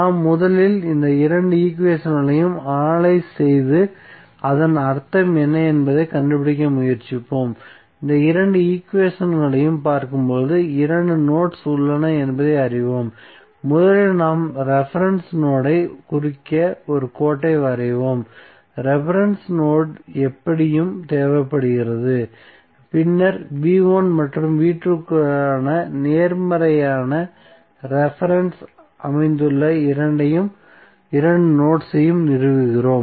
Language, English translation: Tamil, We will first analyze these two equations and try to find out what does it mean, so when we see this two equations we come to know that there are two nodes, so what we will do first we will draw a line to represent the reference node because the reference node is anyway required and then we stabilize two nodes at which the positive reference for v1 and v2 are located